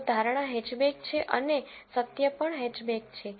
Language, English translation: Gujarati, So, the prediction is hatchback and the truth is also hatchback